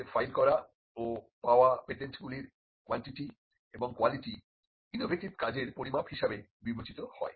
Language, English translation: Bengali, The quantity and quality of patents they file for and obtain are considered as the measure of innovative activity